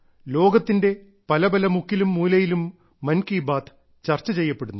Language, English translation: Malayalam, There is a discussion on 'Mann Ki Baat' in different corners of the world too